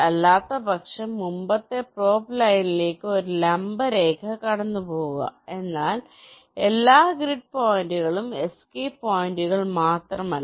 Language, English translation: Malayalam, otherwise, pass a perpendicular line to the previous probe line, but not at all grid points, only at the escape points